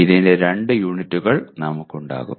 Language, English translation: Malayalam, We will have two unit of this